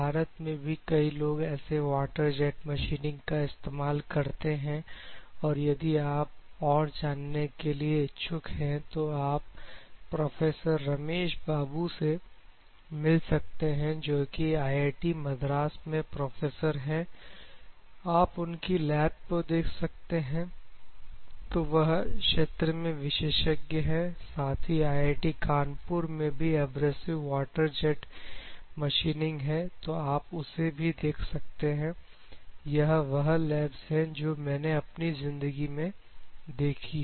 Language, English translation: Hindi, There are many abrasive water jet machining people in India itself, if at all you are interested; the first and primary person you can visit is professor Ramesh Babu, IIT Madras; you can visit his lab, so he is one of the expertise in this particular area, at the same time IIT Kanpur also this abrasive water jet machining is there